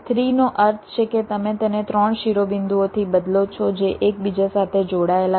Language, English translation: Gujarati, three means you replace it by three vertices which are connected among themselves